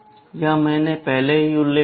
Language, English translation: Hindi, This is what I have already mentioned